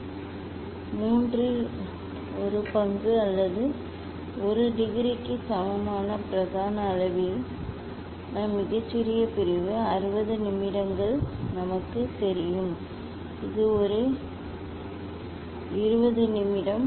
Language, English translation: Tamil, 1 division is 1 division is 1 by 3 degree smallest division in main scale equal to one third degree or 1 degree we know the 60 minute; it is a 20 minute